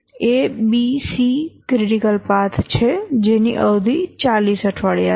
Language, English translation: Gujarati, That is A, B, C is a critical path with 40 weeks as the duration